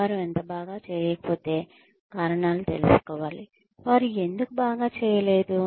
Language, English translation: Telugu, If they are not doing so well, reasons should be found out, for why they are not doing well